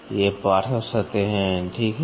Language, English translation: Hindi, So, then these are the flank surfaces, right